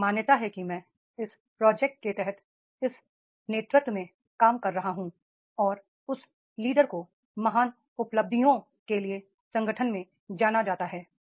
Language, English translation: Hindi, There is I am working in this project under this leadership and that leader is known in the organization for the great achievements